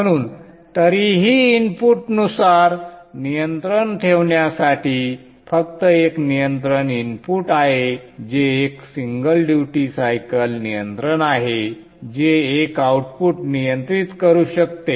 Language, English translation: Marathi, So therefore still control input wise there is only one control input which is one single duty cycle control which can control one output